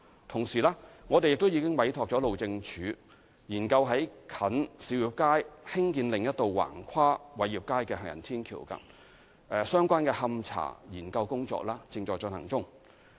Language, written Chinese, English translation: Cantonese, 同時，我們並已委託路政署研究在近兆業街興建另一道橫跨偉業街的行人天橋，勘查研究正在進行中。, In tandem we have engaged the Highways Department to study the construction of another footbridge across Wai Yip Street near Siu Yip Street . The investigation study is in progress